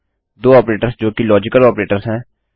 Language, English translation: Hindi, Two operators that are logical operators